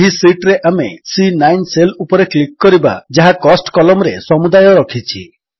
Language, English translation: Odia, In this sheet, we will click on the cell C9 which contains the total under the column Cost